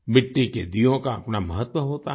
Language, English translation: Hindi, Earthen lamps have their own significance